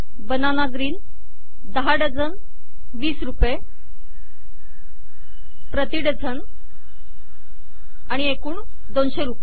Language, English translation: Marathi, Banana green 10 dozens 20 rupees a dozen and 200 rupees total